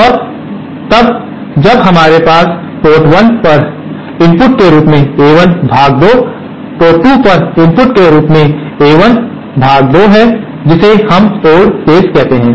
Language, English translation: Hindi, And the case when we have A1 upon 2 as the input at port 1 and A1 upon 2 as the input at port 2, that we call the odd case